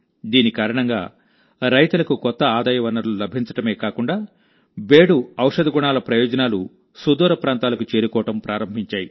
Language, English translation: Telugu, Due to this, farmers have not only found a new source of income, but the benefits of the medicinal properties of Bedu have started reaching far and wide as well